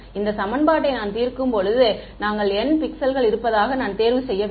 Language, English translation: Tamil, When I am solving this equation, I have to choose let us there are n pixels